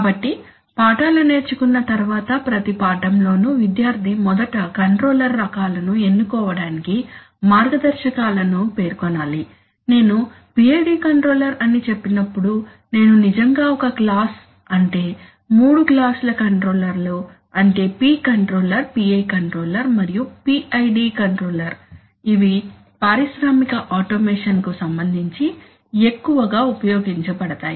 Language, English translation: Telugu, So as we stated in every lesson after learning the lessons the student should be able to, firstly state guideline for selection of controller types, when I said PID controller I actually mean a class that is the three classes of controllers that is P control PI control and PID control, which are most often used in the context of industrial automation